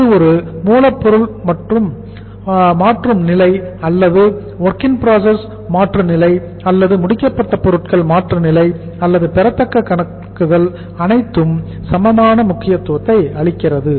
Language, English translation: Tamil, Maybe it is a raw material conversion stage or whether it is the WIP conversion stage or whether it is the finished goods conversion stage or accounts receivables it gives equal importance to all